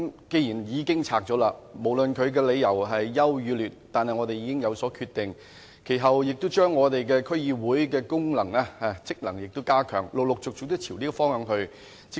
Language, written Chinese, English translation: Cantonese, 既然已經解散了，無論理由孰優孰劣，我們已有所決定，其後亦陸續朝着加強區議會的功能和職能這個方向發展。, And a decision was made even though there were pros and cons and after that we have been moving steadily in the direction of strengthening the role and functions of District Councils DCs